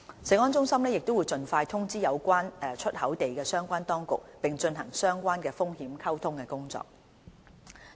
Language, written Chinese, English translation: Cantonese, 食安中心亦會盡快通知有關出口地的相關當局，並進行相關的風險溝通工作。, CFS will also inform the relevant authorities of the exporting places as soon as possible and carry out the relevant risk communication work